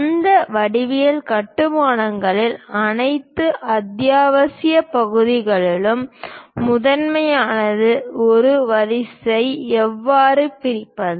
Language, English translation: Tamil, In that geometric constructions, the first of all essential parts are how to bisect a line